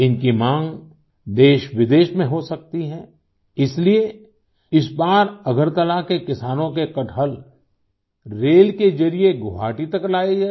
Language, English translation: Hindi, Anticipating their demand in the country and abroad, this time the jackfruit of farmers of Agartala was brought to Guwahati by rail